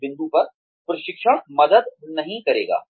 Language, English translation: Hindi, At that point, training will not help